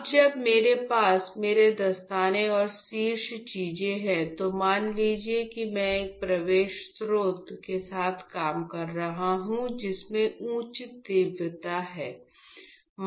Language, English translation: Hindi, Now, that I have my gloves and the remaining thing, assume I would be working with light source which has high intensity